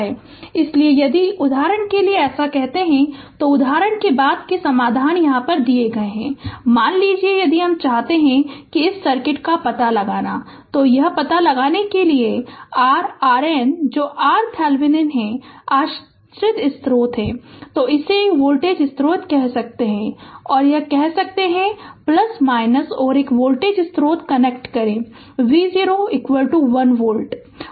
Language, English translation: Hindi, So, if you do so for example, later solutions are there for example, ah suppose if we want, ah that ah we want to find out on this circuit, if you want to find out that your R Norton that is R Thevenin right, so dependent source is there; so we can connect a ah say a voltage source say this is plus minus right